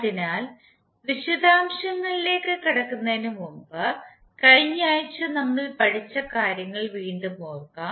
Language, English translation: Malayalam, So before going into the details let us try to understand what we learn in the previous week